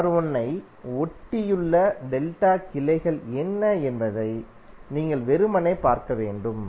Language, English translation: Tamil, You have to simply see what are the delta branches adjacent to R1